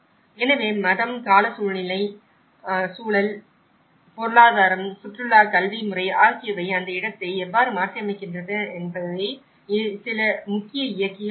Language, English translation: Tamil, So, some of the major drivers were the religion, climatic context, economy, tourism, education system and how they transform the place